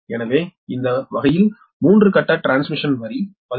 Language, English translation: Tamil, the example is a three phase transmission line